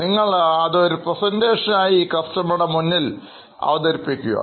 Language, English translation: Malayalam, Okay, now put it all into a presentation and you will present it to the customer